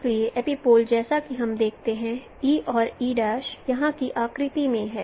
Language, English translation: Hindi, So epipoles as we see E and E prime in the figure here